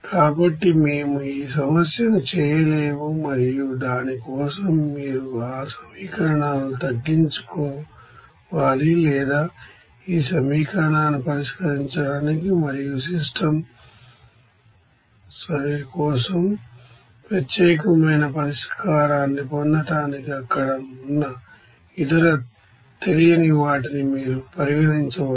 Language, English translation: Telugu, So, we cannot this problem and for that you need to get the either you know reduce that equations or you can consider the other unknowns there to solve this equation and also to get to the unique solution for the system ok